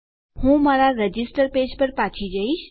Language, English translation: Gujarati, I will go back to my register page